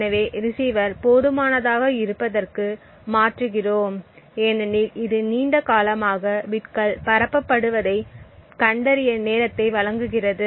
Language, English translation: Tamil, So, this would be long enough to procure the receiver sufficient amount of time to actually detect bits being transmitted